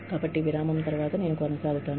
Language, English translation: Telugu, So, I will continue, after a break